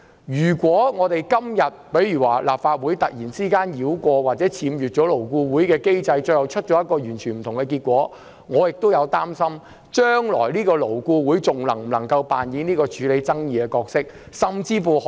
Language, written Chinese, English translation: Cantonese, 如果立法會繞過或僭越這機制，最後得出一個完全不同的結果，我擔心勞顧會將來還可否扮演處理勞資爭議的角色。, If the Legislative Council bypasses or ignores this mechanism and ultimately comes up with a completely different result I am worried whether LAB can still play a good role in resolving labour disputes in the future